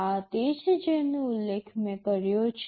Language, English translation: Gujarati, This is what I have already mentioned